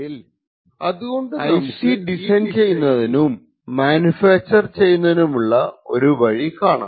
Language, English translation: Malayalam, So, what we see in this particular slide is a typical way IC is designed and manufactured